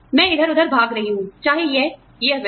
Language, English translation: Hindi, I am running around, whether, this that, this that